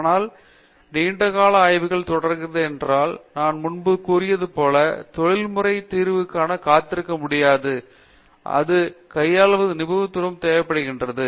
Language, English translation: Tamil, But, long term research continues because as I said earlier, the industry cannot wait for expert solution that requires lot of expertise in handling